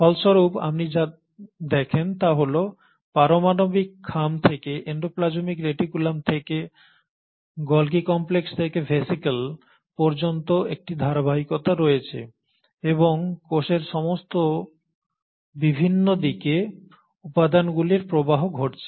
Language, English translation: Bengali, And as a result what you find is all the way from the nuclear envelope to the endoplasmic reticulum to the Golgi complex to the vesicle there is a continuity and there is a continuity and the flow of material happening to all different directions of the cell